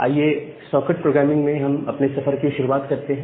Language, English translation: Hindi, So, let us start our journey in the socket programming